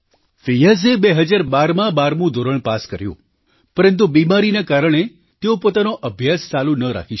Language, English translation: Gujarati, Fiaz passed the 12thclass examination in 2012, but due to an illness, he could not continue his studies